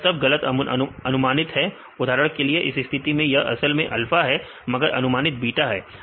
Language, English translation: Hindi, This all wrongly predicted; for example, in this case this is a alpha is actual case, but the predicted case one is in the second case beta